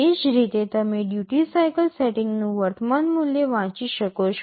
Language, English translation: Gujarati, Similarly, you can read the current value of the duty cycle setting